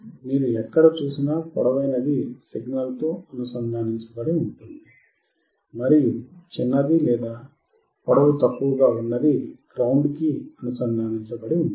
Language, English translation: Telugu, The longer one wherever you see is connected to the signal, and the shorter one is connected to the ground